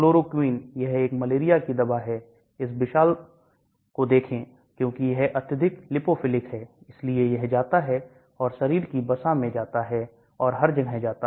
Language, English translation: Hindi, Chloroquine, this is a malarial drug, look at this huge, because it is highly lipophilic so it goes and goes into the body fat everywhere it goes